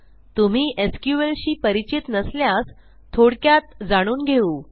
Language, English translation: Marathi, In case youre not familiar with sql, let me brief you